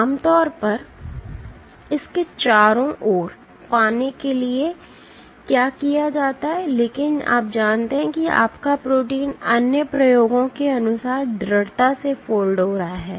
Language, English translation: Hindi, So, what is typically done to get around it, but you know that your protein is folding stably as per other experiments